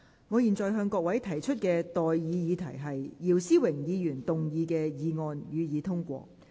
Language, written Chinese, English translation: Cantonese, 我現在向各位提出的待議議題是：姚思榮議員動議的議案，予以通過。, I now propose the question to you and that is That the motion moved by Mr YIU Si - wing be passed